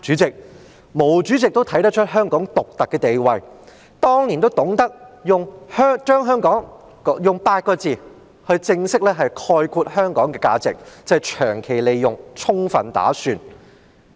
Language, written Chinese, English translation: Cantonese, 對，毛主席也看出香港獨特的地位，當年懂得用8個字正式概括香港的價值："長期利用，充分打算"。, Yes Chairman MAO could also see Hong Kongs unique position and was able to summarize Hong Kongs value in a phrase back then long - term planning full utilization